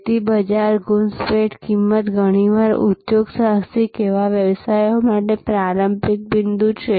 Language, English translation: Gujarati, So, market penetration pricing often the starting point for entrepreneur service businesses